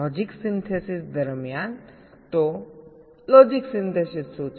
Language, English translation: Gujarati, so what is logic synthesis